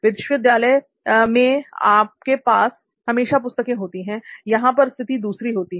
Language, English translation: Hindi, Like in school there is always books, you have a particular book that is different scenario